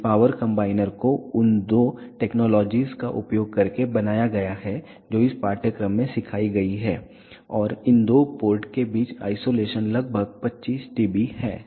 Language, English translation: Hindi, This power combiner has been designed using the techniques that has been taught in this course and the isolation between these two course is around 25 dB